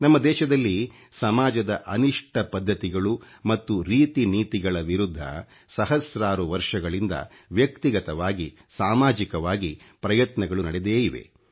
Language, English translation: Kannada, In our country, there have been unending endeavours against social ills and evil practices, both individually & collectively